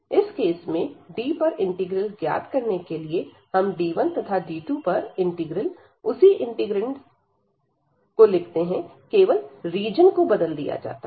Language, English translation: Hindi, So, in that case this integral over D, we can write the integral over this D 1 and then the integral over D 2 the same integrant, same integral only this region has changed